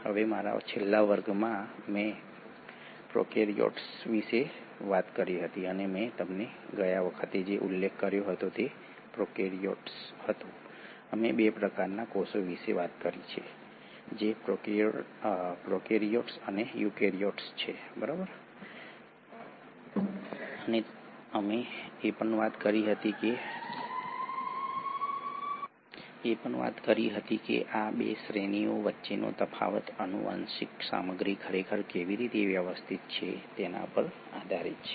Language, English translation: Gujarati, Now in my last class, I spoke about prokaryotes and what I mentioned to you last time was that prokaryotes; we spoke about 2 types of cells which are the prokaryotes and the eukaryotes and we spoke that the difference between these 2 categories is based on how the genetic material is really organised